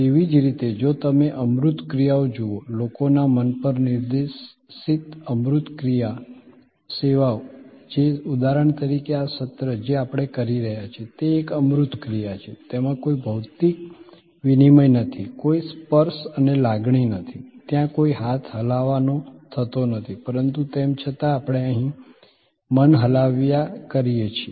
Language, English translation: Gujarati, Similarly, if you look at intangible actions, intangible action services directed at the mind of people that is like for example, this session that we are having, it is an intangible action, there is no physical exchange, there is no touch and feel, there is no hand shake, but yet we have a mind shake here